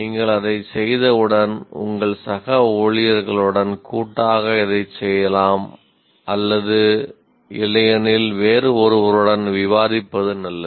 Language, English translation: Tamil, Once you do that, you can do this jointly with some colleague of viewers or otherwise, it is generally good to discuss with somebody else